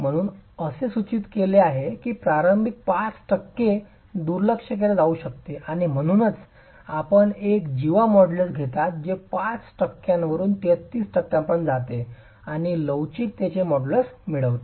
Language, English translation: Marathi, So, it's prescribed that the initial 5% be neglected and hence you take a cod model is that goes from 5% to 33% of the peak strength and get the models of elasticity